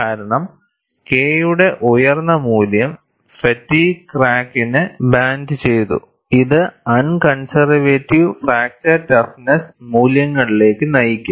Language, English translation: Malayalam, The reason is, a high value of K may blunt the fatigue crack too much, leading to un conservative fracture toughness values